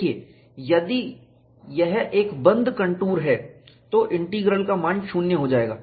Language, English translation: Hindi, See, if it is a closed contour, then, the integral value will go to 0